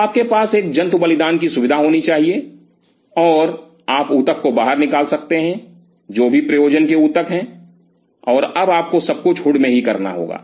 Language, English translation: Hindi, So, you have to have an animal sacrificing facility and you take the tissue out whatever concern tissue and now you have to do everything in the hood